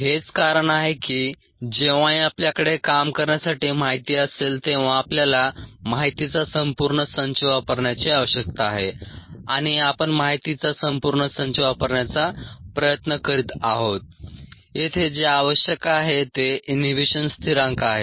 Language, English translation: Marathi, that's the reason why we need to use the entire set of data whenever we have data to work with, and we are trying to use the entire set of data to find whatever is necessary here, which is the inhibition constant, to do that